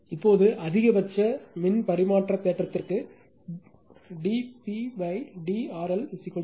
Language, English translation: Tamil, Now, for maximum power transfer theorem d P upon d R L is equal to 0 right